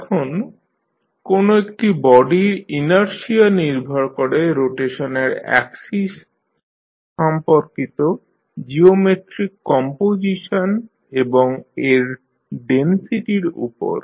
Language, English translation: Bengali, Now, the inertia of a given body depends on the geometric composition about the axis of rotation and its density